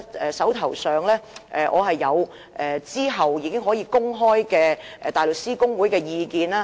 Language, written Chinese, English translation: Cantonese, 我手上其實有後期可予公開的大律師公會意見。, In fact I have at hand the Bar Associations advice which could subsequently be disclosed